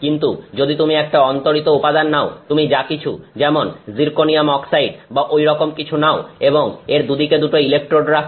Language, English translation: Bengali, But if you take any insulating material, let's say you take whatever some zirconium oxide, something, something like that and put two electrodes on either side of it